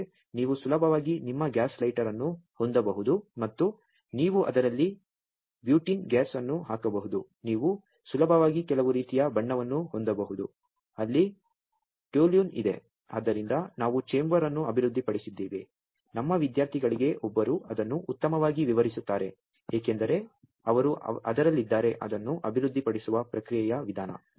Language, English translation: Kannada, But you can easily have your gas lighter and you can put butene gas in it you can easily have some kind of paint, where toluene is there so just we have developed a chamber may be one of our students will explain it better because she is in the way of in the processing of developing it